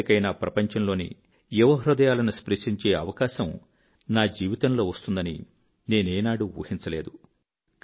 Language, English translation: Telugu, I had never thought that there would be an opportunity in my life to touch the hearts of young people around the world